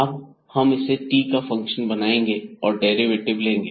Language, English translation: Hindi, And, then making this as a function of t and then taking the derivative